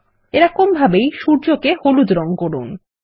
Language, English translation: Bengali, Similarly,lets colour the sun yellow